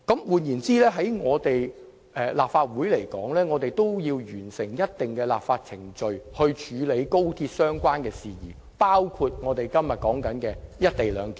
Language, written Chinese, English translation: Cantonese, 換言之，立法會必須完成某些立法程序以配合與高鐵有關的事宜，其中包括今天討論的"一地兩檢"安排。, In other words the Legislative Council needs to complete certain legislative procedures in order to dovetail with matters relating to the commissioning of XRL which includes the co - location arrangement under discussion today